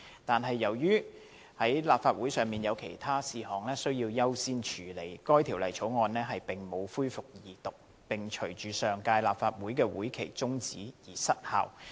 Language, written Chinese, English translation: Cantonese, 但是，由於立法會有其他事項須優先處理，該條例草案並無恢復二讀辯論，並隨上屆立法會會期中止而失效。, However as the Council must first deal with other priority items the Former Bill did not resume its Second Reading debate and lapsed upon the prorogation of the previous term of the Legislative Council